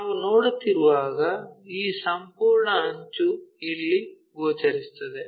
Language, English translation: Kannada, When we are looking this entire edge will be visible here